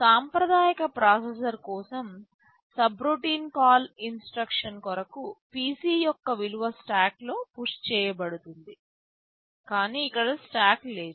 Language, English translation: Telugu, For subroutine call instructions for a conventional processor, the value of PC is pushed in the stack, but here there is no stack